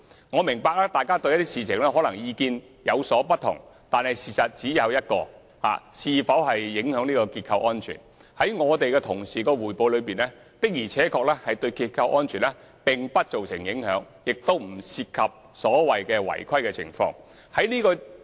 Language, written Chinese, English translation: Cantonese, 我明白大家對某些事情可能有不同意見，但關於竹園北邨的情況是否影響結構安全，在我們同事的匯報中，確實認為結構安全不受影響，亦不涉及所謂的違規情況。, I understand that Members may have different views on certain matters but regarding whether structural safety will be affected by the conditions of Chuk Yuen North Estate our colleagues have confirmed in their report that structural safety would not be affected and the alleged non - compliance with the requirements did not exist